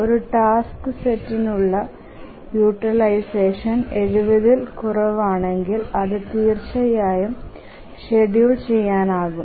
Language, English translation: Malayalam, So if a task set is less the utilization for a task set is less than 70 percent, it will definitely be schedulable